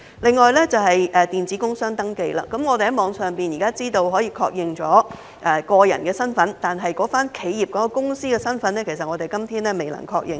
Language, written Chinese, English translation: Cantonese, 另外便是電子工商登記，我們現時可以在網上確認個人身份，但企業或公司的身份至今其實也是未能確認的。, Another item is electronic business registration eBR . Currently we can confirm our personal identities online but to date it is actually not yet possible to confirm the identity of an enterprise or a company this way